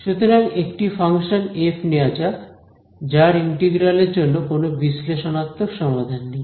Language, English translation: Bengali, So, let us take a function f which has no analytical solution for its integral ok